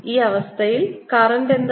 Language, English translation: Malayalam, what is the current